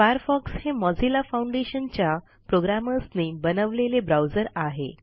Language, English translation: Marathi, Firefox has been developed by volunteer programmers at the Mozilla Foundation, a non profit organization